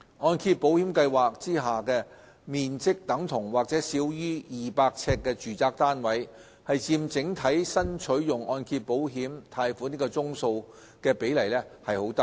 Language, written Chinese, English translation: Cantonese, 按保計劃下面積等同或少於200呎的住宅單位佔整體新取用按揭保險貸款宗數的比例偏低。, The number of loans drawn down under MIP for residential properties with a saleable area equal to or under 200 sq ft accounts for a small percentage of the total number of loans drawn down